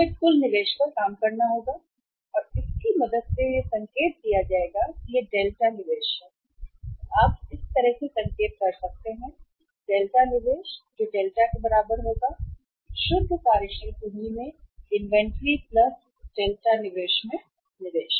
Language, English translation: Hindi, We will have to work out the total investment and that will be indicated with the help of that is delta investment, you can signify like this; delta investment that will be equal to the delta investment in inventory plus delta investment in the net working capital right